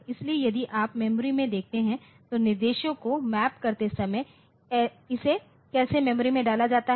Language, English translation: Hindi, So, if you look into the memory map the instructions when it is put into the memory